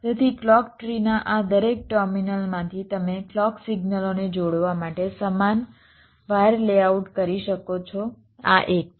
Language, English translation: Gujarati, so from each of this terminals of the clock tree you can layout equal wires to connect the clock signals